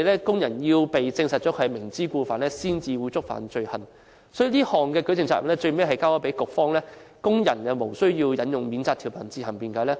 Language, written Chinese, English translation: Cantonese, 工人只會被證實"明知故犯"後，才會觸犯罪行，而有關舉證責任最後在局方，工人無須引用免責條文自行辯解。, So workers will only be prosecuted when proven to have committed the offence intentionally and the burden of proof should fall on the Bureau removing the need for workers to invoke the defence provision for self - defence